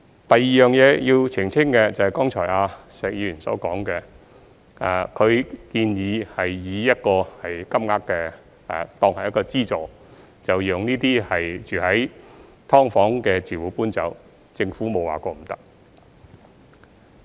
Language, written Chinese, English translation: Cantonese, 第二點要澄清的，是剛才石議員所說，他建議以一個金額當作資助，讓"劏房"的住戶搬走，政府沒有說過不可以。, The second point I would like to clarify is what Mr SHEK has said just now that he proposed to subsidize SDU tenants to move out with a certain amount of money . The Government has never turned down this proposal